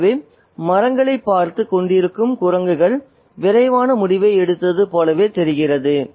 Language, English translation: Tamil, So, it's almost as if the monkeys who have been watching on the trees have made a quick decision